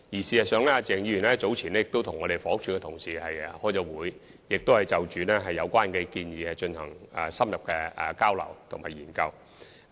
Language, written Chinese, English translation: Cantonese, 事實上，鄭議員早前已曾與房屋署的同事開會，就有關建議進行深入的交流和研究。, As a matter of fact a meeting between Mr CHENG and our colleagues in the Housing Department was held earlier to conduct an in - depth exchange and study on the relevant proposals